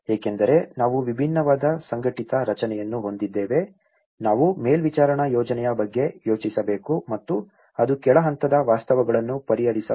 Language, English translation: Kannada, Because though, we have a different organized structure, we need to think about the monitoring plan and which can address the bottom level realities to it